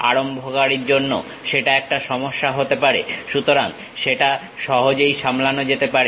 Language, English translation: Bengali, For a beginner that might be an issue, so that can be easily handled